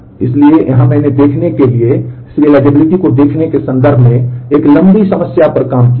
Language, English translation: Hindi, So, here I have worked out a longer problem in terms of the view serializability to check that